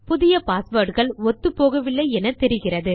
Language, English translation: Tamil, You can see that my two new passwords dont match